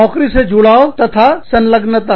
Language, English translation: Hindi, Job involvement and engagement